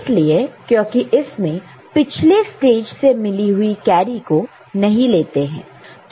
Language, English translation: Hindi, It is because it is does not consider any carry from the previous stage